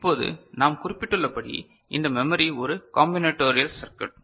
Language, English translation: Tamil, Now, as we have noted so, this memory is also is a combinatorial circuit right